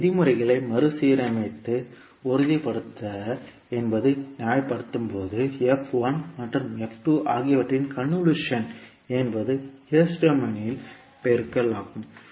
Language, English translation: Tamil, So this is how you get when you rearrange the terms and justify that the convolution is, convolution of f1 and f2 is multiplication in s domain